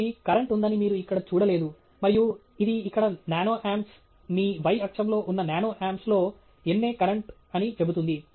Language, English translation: Telugu, So, you do see now here that there is current, and it says here nano amps, nA current in nano amps that is on your y axis